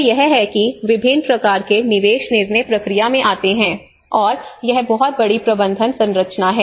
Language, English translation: Hindi, So this is how there is a variety of inputs come into the decision process, and this is very huge management structure